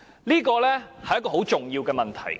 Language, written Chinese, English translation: Cantonese, 這是很重要的問題。, These are very important questions